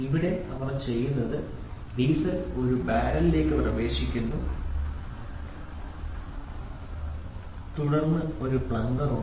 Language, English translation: Malayalam, So, here what they do is the diesel enters into a barrel and then there is a plunger